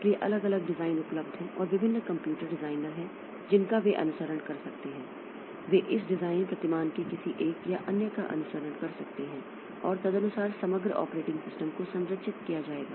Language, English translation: Hindi, So, there are different designs that are available and different computer designers they can follow one or other of these design paradigms and accordingly the overall operating system will be structured